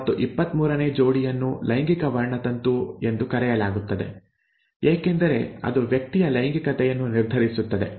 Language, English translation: Kannada, And the 23rd pair is called the sex chromosome because it determines sex of the person